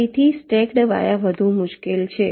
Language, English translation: Gujarati, so stacked vias are more difficult